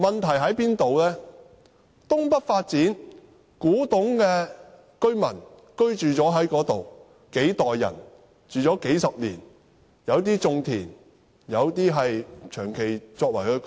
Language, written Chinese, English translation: Cantonese, 在東北發展區內，數代古洞居民已經在那裏居住了數十年，有些種田，有些長期居住在那裏。, In the North East New Territories New Development Areas generations of residents of Kwu Tung have been living there for decades . Amongst them some engage in cultivation while others have settled there for long